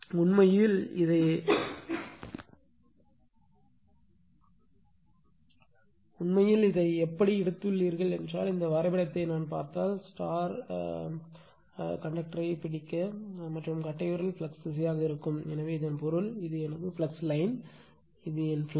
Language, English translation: Tamil, Actually, you how you have taken it that if you come to this your what you call this diagram, so if you look into that I could grabs the conductor and thumb will be direction of the flux right, so that means, flux line is suppose, this is my flux line, this is my flux